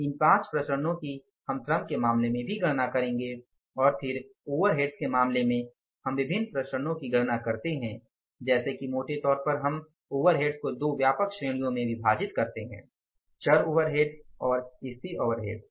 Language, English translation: Hindi, These 5 variances we will calculate in case of the labour also and then in case of the overheads we calculate different variances like broadly we divide the overheads into two broad categories, variable overheads and the fixed overheads